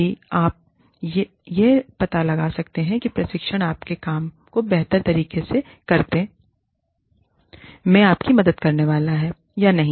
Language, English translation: Hindi, It will help, if you can find out, how this training is going to help you, do your work, better